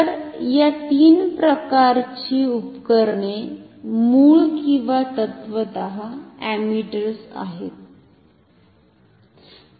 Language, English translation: Marathi, So, this three types of instruments are inherently or in principle ammeters